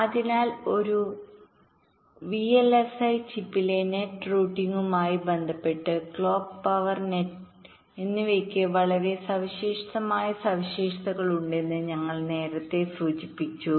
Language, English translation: Malayalam, so we mentioned earlier that with respect to routing nets on a vlsi chip, clock and the power nets have very distinct characteristics